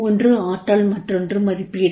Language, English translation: Tamil, One is potential, other is appraisal